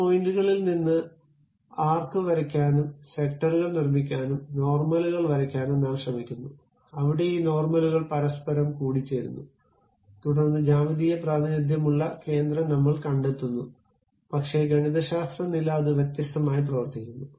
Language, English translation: Malayalam, From those points, we try to draw the arc and construct sectors and draw normals, where these normals are intersecting, then we locate the center that is geometric representation, but mathematical level it works in a different way